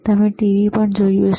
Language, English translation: Gujarati, y You may also have seen TV